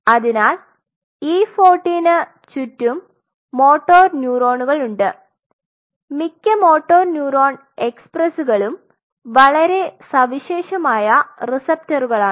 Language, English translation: Malayalam, So, at around E 14 there are motor neurons most of the motor neuron expresses are very unique receptors